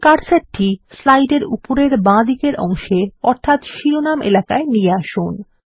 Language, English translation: Bengali, Now move the cursor to the top left corner of the slide, in the Title area